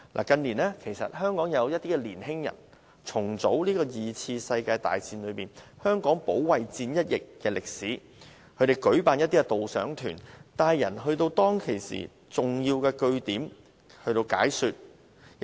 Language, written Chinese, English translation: Cantonese, 近年，香港有些年輕人重組了第二次世界大戰中香港保衞戰一役的歷史，他們會舉辦導賞團帶人到當時的重要據點，向參加者解說有關歷史。, In recent years some young people in Hong Kong have restored the historical facts of the Battle of Hong Kong in World War II . They conduct guided tours to visit important military bases during the War and told visitors about the history